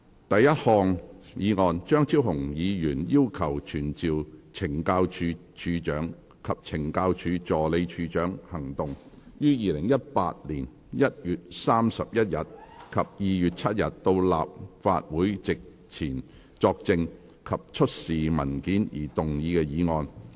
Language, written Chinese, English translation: Cantonese, 第一項議案：張超雄議員要求傳召懲教署署長及懲教署助理署長於2018年1月31日及2月7日到立法會席前作證及出示文件而動議的議案。, First motion Motion to be moved by Dr Fernando CHEUNG to summon the Commissioner of Correctional Services and the Assistant Commissioner of Correctional Services Operations to attend before the Council on 31 January and 7 February 2018 to testify and produce documents